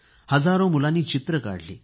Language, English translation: Marathi, Thousands of children made paintings